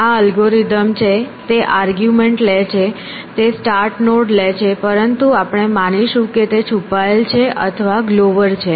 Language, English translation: Gujarati, This is algorithm it takes an argument of course, it takes a start node and everything,,, but that we will assume is hidden or glover whatever